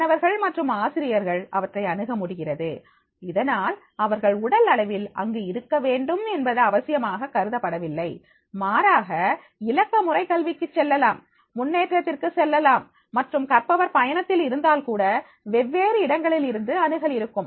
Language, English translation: Tamil, Students and teachers are more able than ever to access, so therefore it is not necessarily that is that they are supposed to be physically present, rather than to digital education they can be, they can go for the advancement and can be accessible at the different places even the learner is travelling